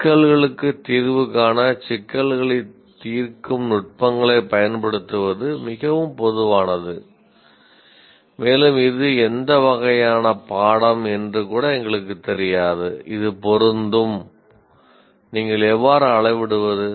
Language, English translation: Tamil, Now, apply problem solving techniques to find solutions to problems is too general and we don't even know what kind of course it is applicable and how do you measure